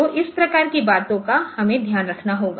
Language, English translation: Hindi, So, this type of things we have to take care ok